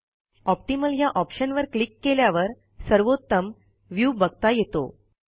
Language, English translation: Marathi, On clicking the Optimal option you get the most favorable view of the document